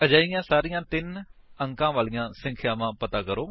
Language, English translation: Punjabi, Find all such 3 digit numbers